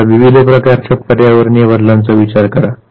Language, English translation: Marathi, Now think of various types of environmental changes that take place